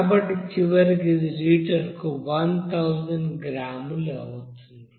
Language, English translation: Telugu, So ultimately it will be 1000 gram per liter